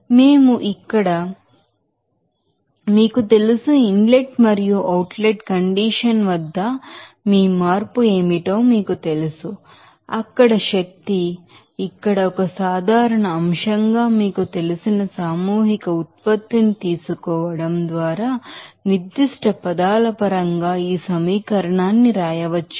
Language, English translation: Telugu, So, we can right here, this you know, at inlet and outlet condition what will be the change of you know that energy there we can write this equation in terms of specific terms by taking the you know mass production as a common factor here